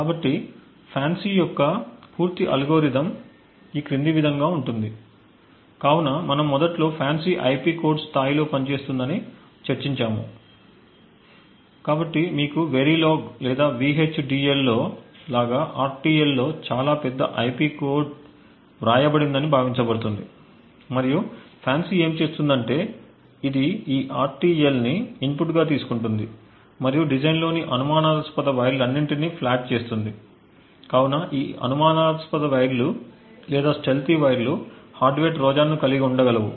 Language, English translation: Telugu, so as we have discussed initially FANCI works at the IP code level, so it is assumed that you have a very large IP core written in RTL like the Verilog or VHDL and what FANCI does is that it takes this RTL as input and flags all the suspicious wires in the design, so it is these suspicious wires or the stealthy wires which could potentially have a hardware Trojan